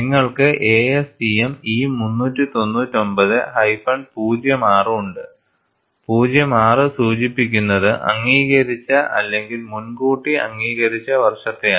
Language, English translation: Malayalam, You have ASTM E399 06, the 06 indicates the year in which it was approved or reapproved, because it has a life